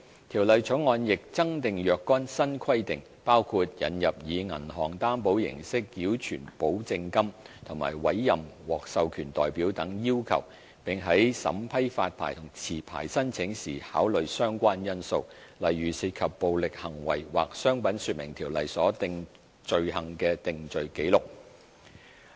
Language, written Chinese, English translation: Cantonese, 《條例草案》亦增訂若干新規定，包括引入以銀行擔保形式繳存保證金和委任獲授權代表等要求，並在審批發牌和續牌申請時考慮相關因素，例如涉及暴力行為或《商品說明條例》所訂罪行的定罪紀錄。, The Bill will also introduce certain new requirements including the requirements of depositing guarantee money by bank guarantee and appointing authorized representatives and allow TIA to consider the relevant factors when vetting and approving applications for licences and renewal of licences